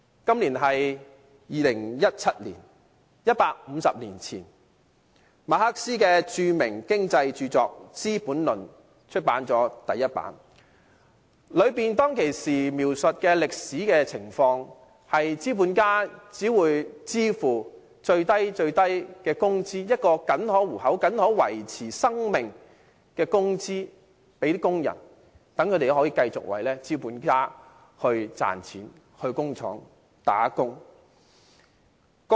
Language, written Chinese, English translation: Cantonese, 今年是2017年 ，150 年前，馬克思的著名經濟著作《資本論》首次出版，當中描述的歷史情況，是資本家只會向工人支付僅可糊口、僅可維持生命的最低工資，令他們到工廠打工，繼續為資本家賺錢。, This year is 2017 150 years ago Karl MARXs famous writing on economy Das Kapital was published for the first time . The book described a historical scenario where capitalists paid workers a minimum wage barely enough to make a living so that people would continue to make money for the capitalists by working in the factories